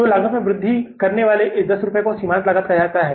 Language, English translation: Hindi, So this 10 rupees increase in the cost is called as the marginal cost